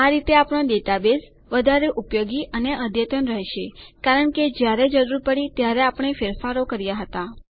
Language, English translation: Gujarati, This way, our database became more usable and up to date, as we made changes whenever necessary